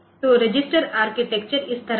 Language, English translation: Hindi, So, the register architecture is like this